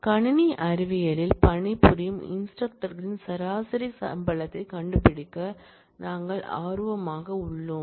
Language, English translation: Tamil, We are interested to find the average salary of those instructors who work for computer science